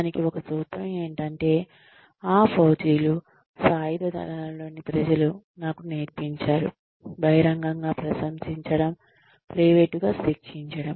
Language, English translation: Telugu, One formula, that faujis is that, that the people in the armed forces, have taught me is, praise in public, punish in private